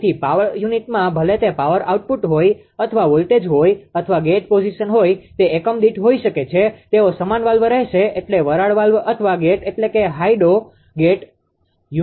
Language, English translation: Gujarati, So, in power unit whether it is a power output or voltage or gate position it will, it is may per unit they will remain same valve means steam valve or gate means that hydro gate